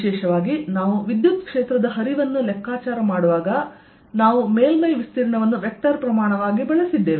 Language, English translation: Kannada, particularly when we saw that we are calculating flux of electric field, then we used surface area as a vector quantity